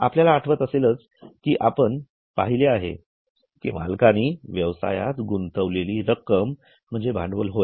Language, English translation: Marathi, If we remember we have seen that money which owners put in is a capital